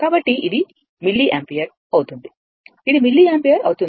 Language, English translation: Telugu, So, it will be your milliampere; it will be milliampere right